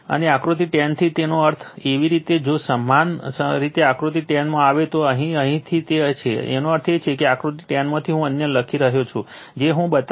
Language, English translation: Gujarati, And from figure 10, that means your if you come to figure 10 here it is, from here it is right; that means, from figure 10 one I am writing others I will show